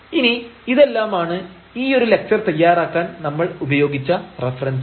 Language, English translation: Malayalam, And these are the references we have used to prepare these lecture